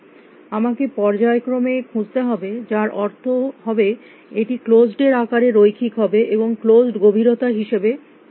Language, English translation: Bengali, I would have to sequentially search which would mean it would be linear in the size of closed and how was closed going